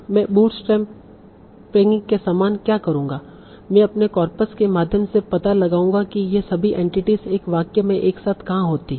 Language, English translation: Hindi, So what I will do, similar to bootstrapping, I will go through my corpus and find out where all these entities occur together in a sentence